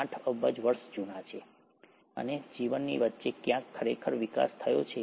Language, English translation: Gujarati, 8 billion years old, and somewhere in between the life really evolved